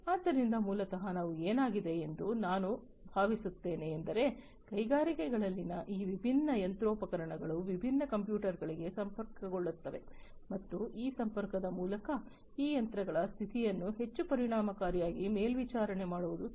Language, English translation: Kannada, So, basically what we are think I mean what has happened is these different machinery in the industries would be connected to different computers and through this connectivity, what it would be possible is to monitor the condition of these machines in a much more efficient manner than before